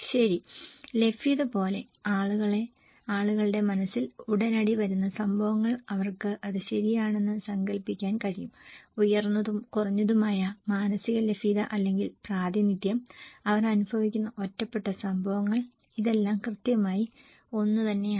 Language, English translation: Malayalam, Okay, alike availability, events that come to people’s mind immediately they can imagine it okay, high and less mentally available or representativeness, singular events that they experience not exactly the same